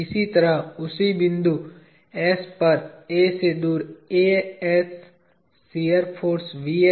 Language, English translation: Hindi, Similarly, at same point s away from A; the shear force, and this